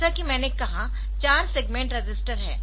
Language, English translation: Hindi, So, they are called segment register